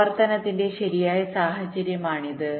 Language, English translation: Malayalam, this is the correct scenario of operation